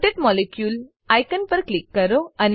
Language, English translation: Gujarati, Click on rotate molecule icon